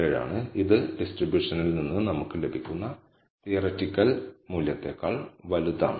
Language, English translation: Malayalam, Now, this is greater than the theoretical value that we get from the distribution